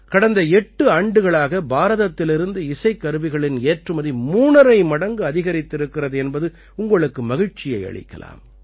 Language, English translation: Tamil, You will be pleased to know that in the last 8 years the export of musical instruments from India has increased three and a half times